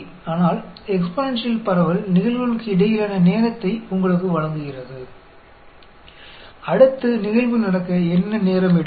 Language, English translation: Tamil, But, the exponential distribution gives you the time between the events; what is the time it will take for the next event to happen, that sort of times it gives